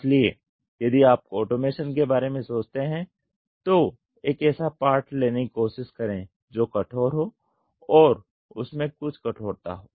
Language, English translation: Hindi, So, in if you think of automation try to have a part which is rigid and which has some stiffness to it